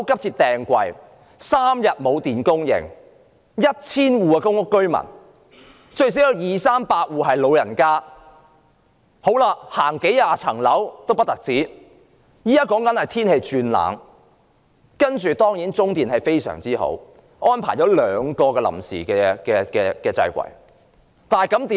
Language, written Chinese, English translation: Cantonese, 在 1,000 戶公屋居民中，最少有二三百戶是長者，他們要步行數十層樓梯回家，現時又天氣轉冷，當然，中電集團很好，安排了兩個臨時掣櫃，結果怎樣呢？, Of the 1 000 PRH households there at least 200 or 300 are elderly households and they have to climb dozens of flights of stairs in order to go home . Weather is getting cold now and of course the CLP Group was very good in arranging for the provision of two temporary switch boards . What is the result?